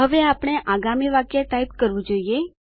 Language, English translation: Gujarati, Now, we need to type the next sentence, should we not